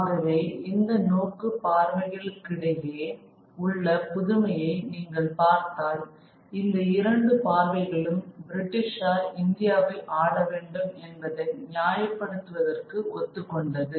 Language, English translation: Tamil, And so, so this if you look at these comparison between these comparative views, both the views have agreed on justified that British need to rule India